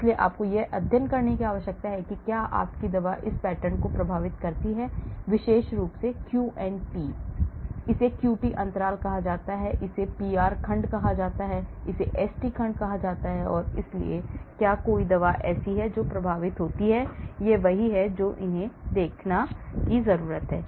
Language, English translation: Hindi, so you need to study whether your drug affects this pattern, especially the Q and T part of it, QT this is called the QT interval , this is called the PR segment, this is called the ST segment and so whether there is a drug affects this is what they need to see